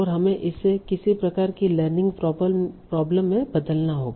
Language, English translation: Hindi, And for that we have to convert that to some sort of a learning problem